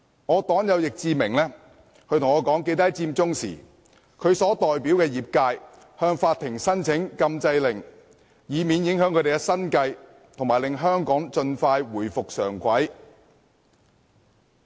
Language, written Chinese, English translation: Cantonese, 我的黨友易志明議員告訴我，在佔中期間他代表的業界向法庭申請禁制令，以免影響生計及希望令香港盡快回復正軌。, My party comrade Mr Frankie YICK told me that he sought an injunction from the Court on behalf of the industry that he represents during the Occupy Central movement so as to minimize its impact on peoples livelihood and bring Hong Kong back onto the right track expeditiously